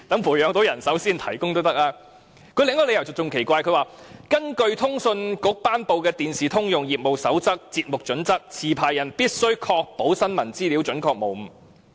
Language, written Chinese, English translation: Cantonese, 無綫提出的另一個理由更奇怪，它說根據通訊事務管理局頒布的《電視通用業務守則―節目標準》，持牌人必須確保新聞資料準確無誤。, Another reason put forward by TVB is even weirder . It said that in accordance with the Generic Code of Practice on Television Programme Standards promulgated by the Communications Authority licensees shall ensure the accuracy of the contents of news